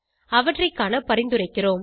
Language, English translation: Tamil, We suggest that you explore them